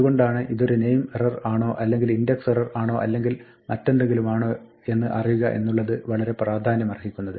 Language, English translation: Malayalam, That is why it is important to know whether it is a name error or an index error or something else